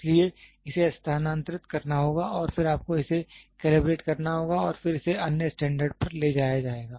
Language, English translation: Hindi, So, it has to be moved and then you have to get it done calibrated and then it will be moved to the other standards